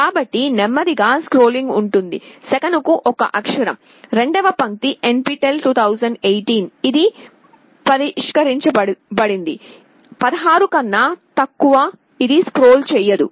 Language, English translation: Telugu, So, there will there will be slow scrolling, 1 character per second, second line NPTEL 2018, this is fixed, less than 16 this will not scroll